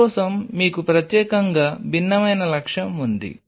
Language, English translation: Telugu, For that you have a specifically different objective